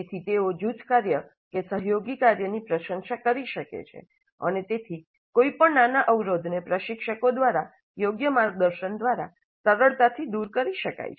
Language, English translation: Gujarati, So they have begun to appreciate the importance of group work, collaborative work, and any small gaps can easily be overcome through proper mentoring by the instructors